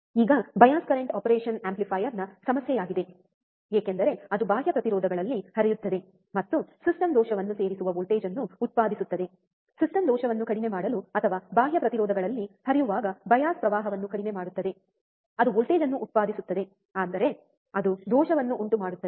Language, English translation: Kannada, Now, bias current is a problem of the operation amplifier because it flows in external impedances and produces voltage which adds to system error, to reduce the system error or the bias current when it flows in the external impedances, right it produces voltage; that means, it will cause a error